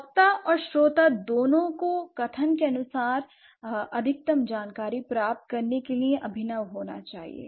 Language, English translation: Hindi, So, both the speaker and the hearer, they have to be innovative to grab maximum information from the statement that has been said